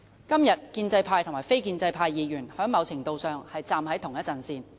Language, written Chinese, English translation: Cantonese, 今天建制派和非建制派議員在某程度上是站在同一陣線。, Today both pro - establishment and non - establishment camps stand at the same front to a certain extent